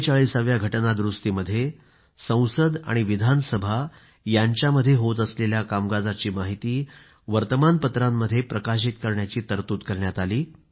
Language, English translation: Marathi, The 44th amendment, made it mandatory that the proceedings of Parliament and Legislative Assemblies were made public through the newspapers